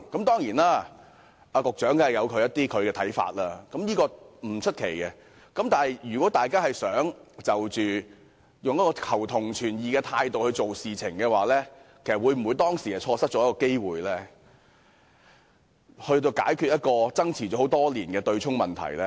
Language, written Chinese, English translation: Cantonese, 當然，局長有其看法，這不足為奇，但如果大家真的是秉持求同存異的態度，那麼當時是否錯失了一個機會，解決爭持多年的強積金對沖問題呢？, Of course the Secretary may have his own views and this is not surprising at all . But if we agree that they really upheld an attitude of seeking common ground while accommodating differences will it not be correct to say that we let slip an opportunity at the time of resolving the long - standing problem of the MPF offsetting mechanism?